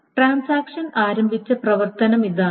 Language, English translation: Malayalam, That means the transaction is running